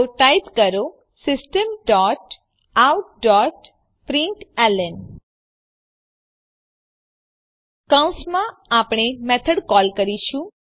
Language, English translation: Gujarati, So type System dot out dot println() Within parenthesis we will call the method